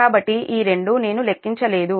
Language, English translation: Telugu, so this two i have not computed